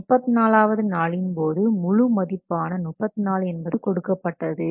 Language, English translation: Tamil, And on the day of 34, full value is given, that is 34 is given here